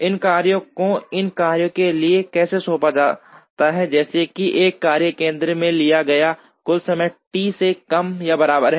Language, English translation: Hindi, How these tasks are assigned to these workstations such that, the total time taken in a workstation is less than or equal to T